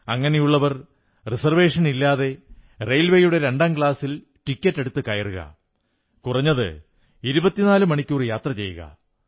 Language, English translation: Malayalam, Friends have you ever thought of travelling in a Second Class railway Compartment without a reservation, and going for atleast a 24 hours ride